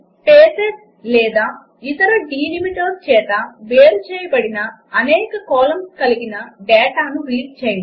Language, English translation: Telugu, To Read multiple columns of data, separated by spaces or other delimiters